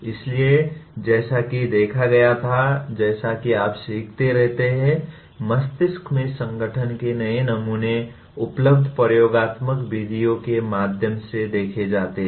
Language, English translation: Hindi, So, what was observed is as you keep learning, new patterns of organization in the brain are observed through available experimental methods